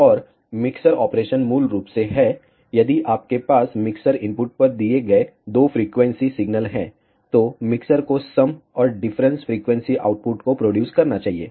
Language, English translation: Hindi, And the mixer operation is basically if you have two frequency signals given at the mixture inputs, the mixer should produce the sum and the difference frequency outputs